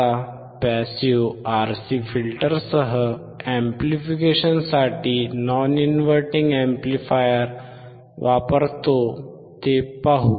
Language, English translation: Marathi, Now, let us see if I use, a non inverting amplifier for the amplification along with the passive RC filter